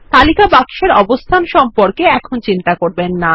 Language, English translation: Bengali, Do not worry about the placement of the list box now